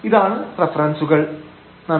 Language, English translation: Malayalam, These are the references